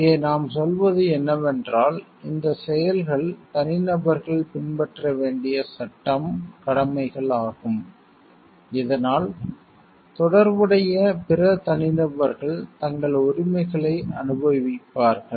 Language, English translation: Tamil, Here what you are telling these are the acts duties to be followed by individuals so that the corresponding connected other set of individuals will be enjoying their rights